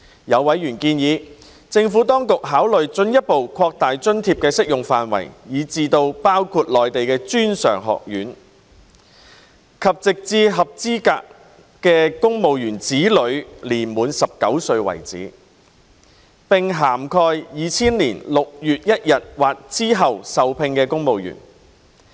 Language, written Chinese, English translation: Cantonese, 有委員建議政府當局考慮進一步擴大津貼的適用範圍至包括內地專上院校，直至合資格的公務員子女年滿19歲為止，並涵蓋2000年6月1日或之後受聘的公務員。, Some members suggested that the Administration should consider further expanding the scope of LEA to cover tertiary education in the Mainland until the children of eligible civil servants reached the age of 19 as well as civil servants who were appointed on or after 1 June 2000